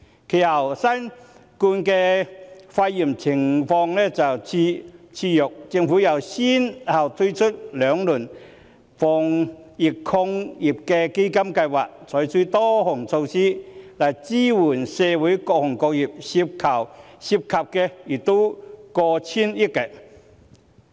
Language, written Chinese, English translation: Cantonese, 其後，新型冠狀病毒肺炎疫情肆虐，政府又先後推出兩輪防疫抗疫基金，採取多項措施來支援社會各行各業，涉款亦過千億元。, Later given the havoc wreaked by COVID - 19 the Government has further rolled out two rounds of measures under the Anti - epidemic Fund that involve a total expenditure of over 100 billion to support various sectors and industries